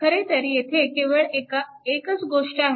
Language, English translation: Marathi, Here, actually only one thing is here